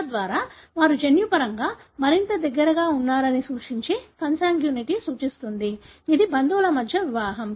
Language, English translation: Telugu, So that represents consanguinity suggesting that they are genetically more closer; this is a marriage within relatives